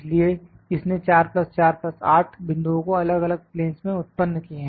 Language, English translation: Hindi, So, it has generated 4 plus 4, 8 points in two different planes